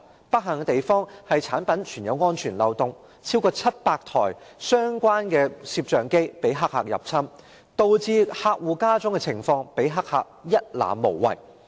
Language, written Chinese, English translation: Cantonese, 不幸的是，該產品存在安全漏洞，有超過700台相關攝像機遭黑客入侵，導致客戶家中的情況被黑客一覽無遺。, Unfortunately there was a security loophole in that product . More than 700 such cameras were hacked exposing the customers homes to the hackers completely